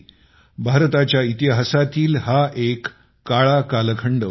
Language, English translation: Marathi, It was a dark period in the history of India